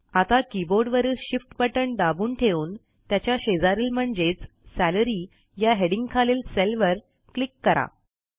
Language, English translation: Marathi, Now hold down the Shift key on the keyboard and click on the cell with its corresponding item, Salary